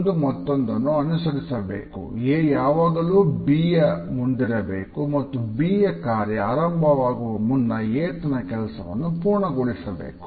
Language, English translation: Kannada, One thing has to follow the other and A should always precede B and A should end before the task B begins